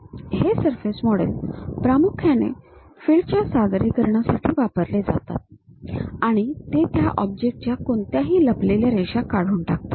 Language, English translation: Marathi, This surface models are mainly used for visualization of the fields and they remove any hidden lines of that object